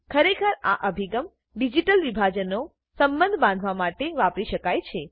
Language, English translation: Gujarati, As a matter of fact, this approach can be used to bridge digital divide